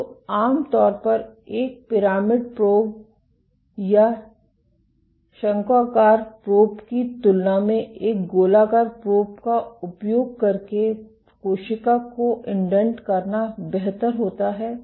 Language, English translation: Hindi, So, generally it is better to indent a cell using a spherical probe than a pyramidal or conical probe